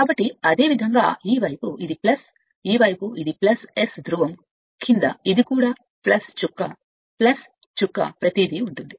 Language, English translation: Telugu, So, similarly this side it is it this side it is plus right, this side it is plus under S pole this is also plus dot plus dot everything is there right